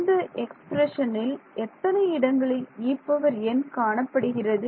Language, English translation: Tamil, I can how many in this expression over here, how many places does E n appear